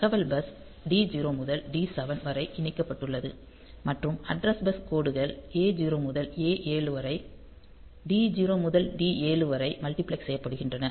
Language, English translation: Tamil, So, data bus is connected D 0 to D 7 and the address bus lines A 0 to A 7 are multiplexed with D 0 to D 7